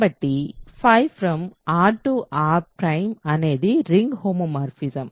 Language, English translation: Telugu, So, we use the same definition for ring homomorphisms